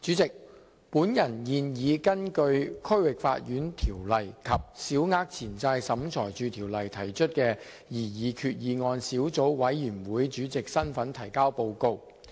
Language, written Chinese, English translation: Cantonese, 代理主席，我現以根據《區域法院條例》及《小額錢債審裁處條例》提出的擬議決議案小組委員會主席的身份提交報告。, Deputy President I now submit the report of the Subcommittee on Proposed Resolutions under the District Court Ordinance and the Small Claims Tribunal Ordinance in my capacity as the Chairman of the Subcommittee